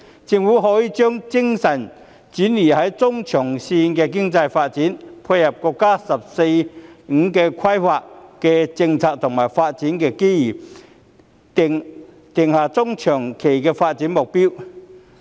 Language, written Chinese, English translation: Cantonese, 政府可以將精神轉移至中長線的經濟發展，配合國家"十四五"規劃的政策和發展機遇，定下中長期的發展目標。, The Government may focus its efforts on medium - to - long - term economic development and lay down medium - to - long - term development goals by complementing the policies and development opportunities of the National 14th Five - Year Plan